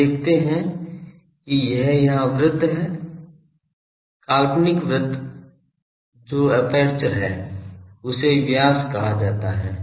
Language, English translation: Hindi, We see this is the circle here; hypothetical circle that is the aperture; that is diameter is being said